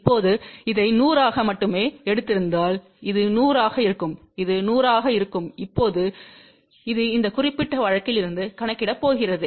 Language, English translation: Tamil, Now, suppose if we had taken this as 100 only, so this would be 100 then this will be 100 and now this is going to be calculate from this particular case here